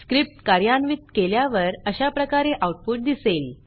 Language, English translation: Marathi, On executing the script, we see the output as follows